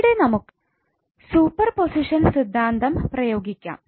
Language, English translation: Malayalam, So what you do in superposition theorem